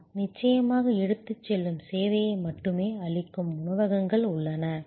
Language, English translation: Tamil, Yes of course, there are restaurants which are take away service only